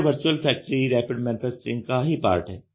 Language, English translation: Hindi, So, this virtual factory is also part of Rapid Manufacturing